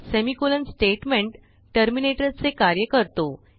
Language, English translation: Marathi, Semicolon acts as a statement terminator